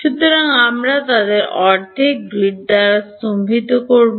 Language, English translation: Bengali, So, we will also stagger them by half a grid